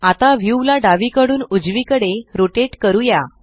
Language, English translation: Marathi, Now let us rotate the view left to right